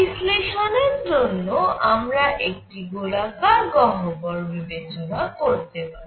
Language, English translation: Bengali, For analysis, we can take this cavity to be spherical